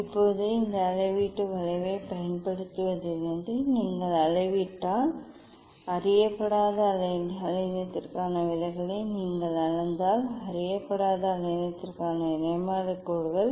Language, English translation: Tamil, Now, from using this calibration curve, if you measure; if you measure the deviation for unknown wavelength ok, spectral lines of unknown wavelength